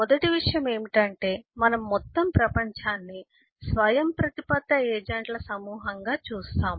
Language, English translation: Telugu, The first thing is we view the whole world as a set of autonomous agents